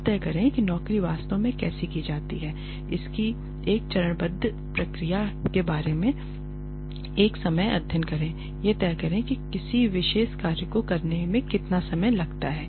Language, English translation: Hindi, This, decide how the job is actually done decide you know come up with a step by step procedure of how a job is done do a time study decide how much time it takes to do a particular job